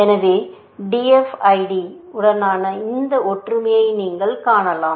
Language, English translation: Tamil, So, you can see this similarity with DFID